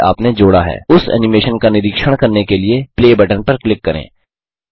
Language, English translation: Hindi, Click on the Play button to observe the animation that you have added